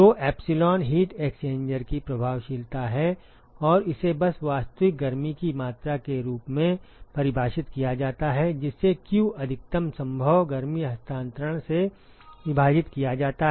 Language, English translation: Hindi, So, epsilon is the effectiveness of the heat exchanger, and that is simply defined as the actual amount of heat that is transported which is q divided by the maximum possible heat transfer